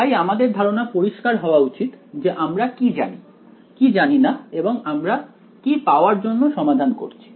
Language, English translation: Bengali, So, we should be very clear what is known, what is unknown what are we trying to solve for right